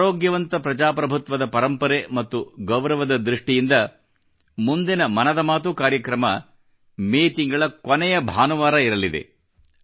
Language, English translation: Kannada, In maintainingrespect for healthy democratic traditions, the next episode of 'Mann KiBaat' will be broadcast on the last Sunday of the month of May